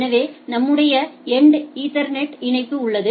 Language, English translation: Tamil, So, at what we are having at our end is the Ethernet link